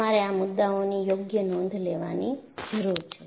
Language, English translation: Gujarati, So, you need to take proper notes of these points